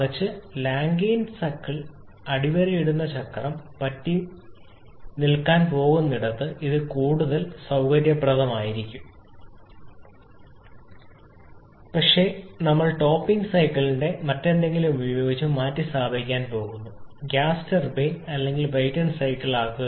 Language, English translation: Malayalam, Rather it will be much more convenient where we are going to stick to the Rankine cycle is bottoming cycle, but we are going to replace the topping cycle with something else may be a gas turbine or a Brayton cycle